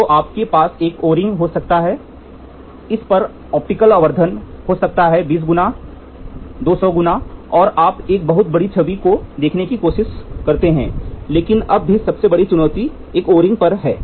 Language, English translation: Hindi, So, you can have an O ring there at this can be optically magnified may be 20 times, 200 times and you try to see a very large image you can try to see, but even now the biggest challenge is on a on a O ring